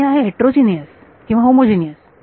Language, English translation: Marathi, That is heterogeneous or homogeneous